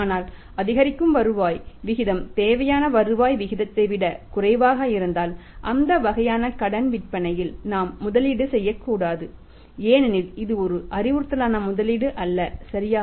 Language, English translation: Tamil, But if incremental rate of return is less than the required rate of return we should not invest into that kind of the credits is because that is not a advisable investment right